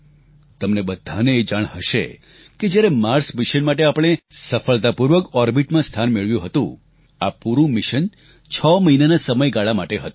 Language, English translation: Gujarati, You may be aware that when we had successfully created a place for the Mars Mission in orbit, this entire mission was planned for a duration of 6 months